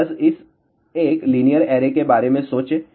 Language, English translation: Hindi, So, just think about this 1 linear array